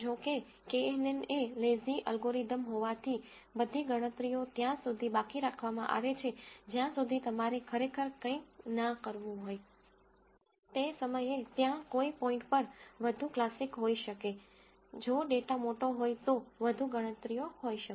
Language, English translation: Gujarati, However, since kNN is a lazy algorithm all the, all the calculations are deferred till you had actually have to do something, at that point there might be lot more classic, lot more calculations if the data is large